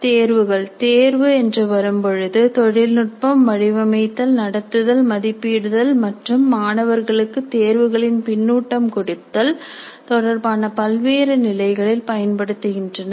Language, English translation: Tamil, Then tests when it comes to test technologies can be used at different levels with regard to designing, conducting, evaluating and giving feedback in test to the students